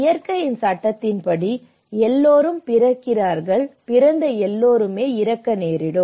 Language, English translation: Tamil, Because it is a law of nature, as per the law of nature, everyone is born, and everyone is bound to die